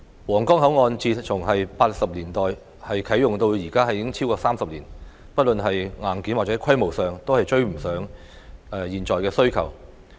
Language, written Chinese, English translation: Cantonese, 皇崗口岸自1980年代啟用至今已超過30年，不論是硬件或規模上都已追不上現今的需求。, Having been in operation for over 30 years since commissioning in 1980s the Huanggang Port is unable to catch up with todays requirements whether in terms of hardware or scale